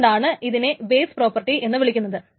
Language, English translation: Malayalam, So why is it's called base properties